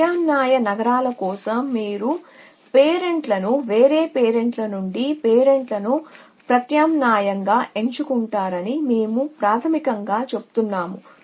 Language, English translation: Telugu, And we basically says that all alternating cities you pick the parent from the you pick the next city from the different parent alternating parents